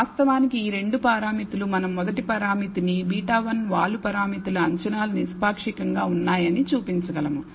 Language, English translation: Telugu, These two parameters that actual we can show the first parameter says that the estimates of beta 1 the slope parameters are unbiased